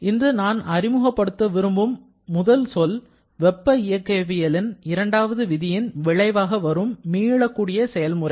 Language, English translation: Tamil, Now, the first term that I would like to introduce today which comes straight as corollaries or consequence of the second law of thermodynamics is the reversible process